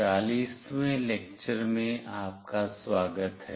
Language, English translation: Hindi, Welcome to lecture 40